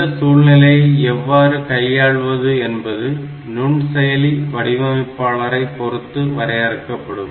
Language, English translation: Tamil, In fact, that depends on the way the microprocessor has been designed